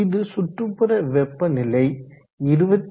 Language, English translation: Tamil, The ambient is around 27